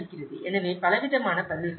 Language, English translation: Tamil, So, there is a wide variety of responses